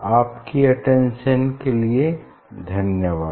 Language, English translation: Hindi, Thank you for your attention